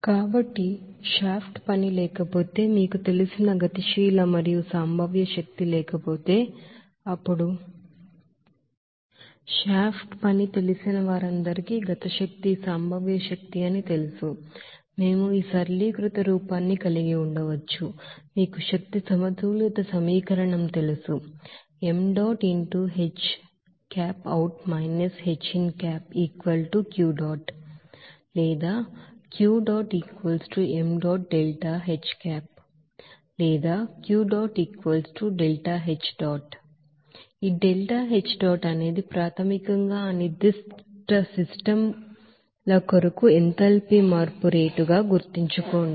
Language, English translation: Telugu, So if there is no shaft work, no kinetic and potential energy you know will be there, then we can say that canceling all those you know shaft work know that is kinetic energy, potential energy, we can have this simplified form of this, you know energy balance equation as Here, remember that this delta H dot is basically the rate of enthalpy change for that particular systems